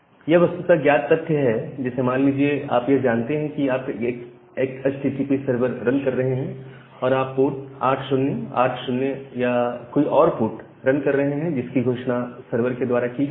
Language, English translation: Hindi, Now, that is actually a kind of well known things, like say you know that if you are running a HTTP server, then you are either running at port 80 or you are running at port 8080 or some other ports which is being announced by the server